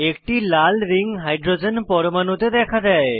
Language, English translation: Bengali, A red ring appears on that Hydrogen atom